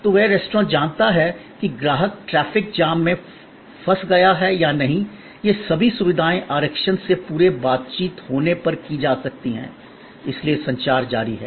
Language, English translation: Hindi, So, that restaurant knows, whether the customer is caught in a traffic jam or the, all these facilities can be done if there is an interaction beyond reservation, so the communication continues